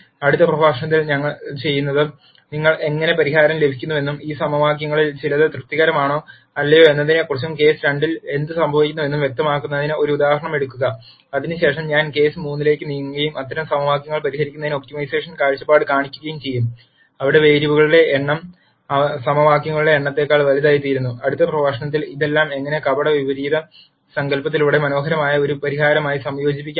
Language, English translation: Malayalam, What I will do in the next lecture is, take an example to illustrate what happens in case 2 in terms of how you get a solution and whether some of these equations are satisfied or not satisfied and so on, and after that I will move on to case 3 and show an optimization perspective for solving those types of equations, where the number of variables become greater than the number of equations, and then in the next lecture I will also show how all of this can be combined into one elegant solution through the concept of pseudo inverse